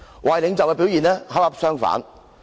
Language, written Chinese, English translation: Cantonese, 壞領袖的表現恰恰相反。, A bad leader behaves in an exactly opposite way